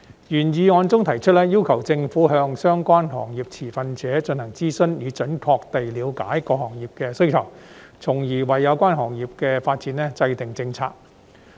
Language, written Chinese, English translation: Cantonese, 原議案中提出，要求政府向相關行業持份者進行諮詢，以準確地了解各行業的需求，從而為有關行業的發展制訂政策。, In the original motion it is proposed to urge the Government to consult relevant industry stakeholders so as to accurately understand the needs of various industries and thereby formulate strategies for the development of relevant industries